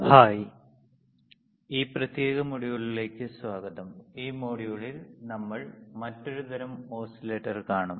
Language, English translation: Malayalam, Hi, welcome to this particular module and in this module, we will see another kind of oscillator